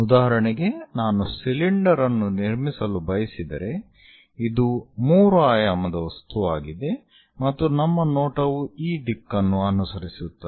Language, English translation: Kannada, For example, if I would like to construct a cylinder; this is the 3 dimensional object and our view follows from this direction